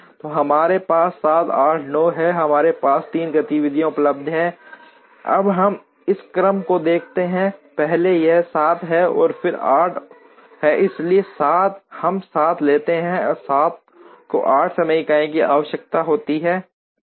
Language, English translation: Hindi, So, we have 7, 8 and 9, we have 3 activities that are available, now we look at this order first it is 7, and then it is 8, so we take 7, 7 requires 8 time units 7 goes